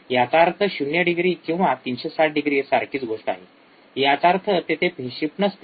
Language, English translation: Marathi, You says is 0 degree or 360 degree it is the same thing so, there is no phase shift